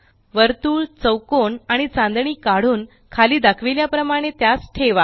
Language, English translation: Marathi, Draw a circle a square and a star and place them as showm below